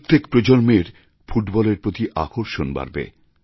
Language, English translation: Bengali, It will evince more interest in Football in every generation